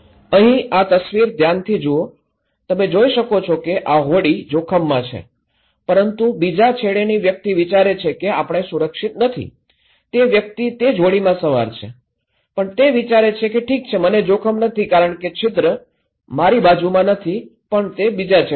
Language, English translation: Gujarati, Here, look into this in this picture okay, you can see this boat is at risk but the person in the other end thinks that we are not safe, he is in the same boat, but he thinks that okay I am not at risk because the hole is not at my side, is in the other end